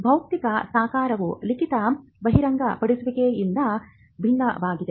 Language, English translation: Kannada, The physical embodiment is different from the written disclosure